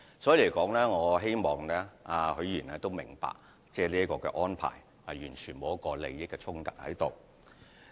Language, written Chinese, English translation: Cantonese, 所以，我希望許議員明白，這樣的安排完全不存在個人利益衝突。, Therefore I hope Mr HUI Chi - fung understand that such an arrangement is completely free of conflict of personal interest